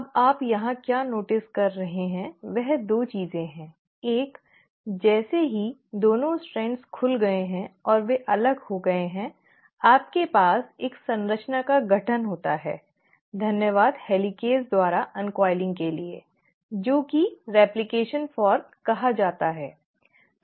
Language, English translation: Hindi, Now, what you notice here is 2 things, one; as soon as the 2 strands have opened and they have got separated you have a formation of a structure which has taken place and this structure thanks to the uncoiling by the helicase is called as the replication fork